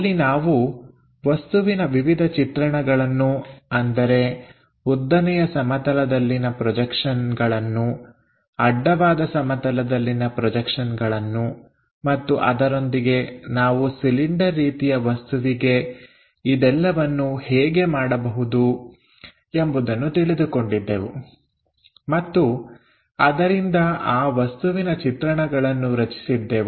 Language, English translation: Kannada, There we try to construct different views like vertical plane projections, horizontal plane projections and also, we tried to have feeling for cylindrical objects, the views created by that